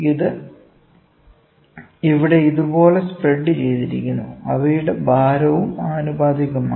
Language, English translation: Malayalam, This is spread here like this, this is spread here like this, weight is also proportional, ok